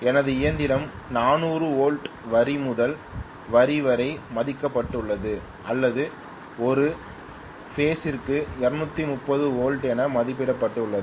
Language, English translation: Tamil, Let say my machine is rated for 400 volts line to line or 230 volts per phase whatever